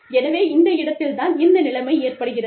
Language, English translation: Tamil, So, that is where, this situation comes in